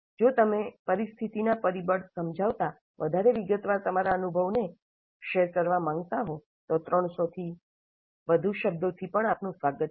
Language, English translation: Gujarati, If you wish to share your experience in greater detail, explaining the situational factors, you are welcome to exceed 300 words also